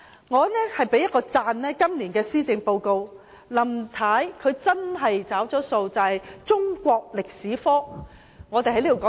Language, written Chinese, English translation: Cantonese, 我讚賞今年的施政報告，林太真的"找數"了，給予中國歷史科"獨立門牌"。, I commend this years Policy Address for Mrs LAM has really honoured her promise by giving the Chinese History subject an independent status